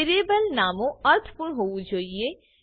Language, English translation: Gujarati, Variable names should be meaningful